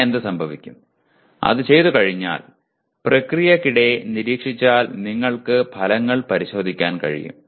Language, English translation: Malayalam, Then what happens having done that, having monitored during the process you should be able to check the outcomes